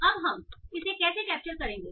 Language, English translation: Hindi, So now how do we capture that